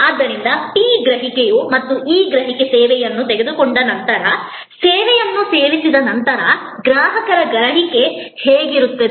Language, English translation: Kannada, So, P is perception and this perception is customers perception after taking the service, after consuming the service